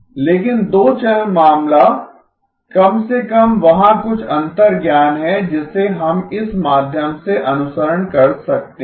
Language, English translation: Hindi, But the two channel case at least there is some intuition that we could follow the way through